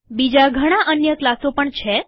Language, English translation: Gujarati, There are several other classes as well